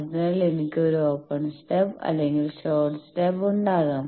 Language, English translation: Malayalam, So, I can have an open stub or I can have a short stub